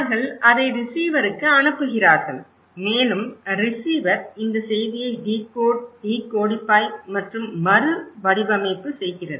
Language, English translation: Tamil, They send it to the receiver and receiver also decode, decodify and recodify this message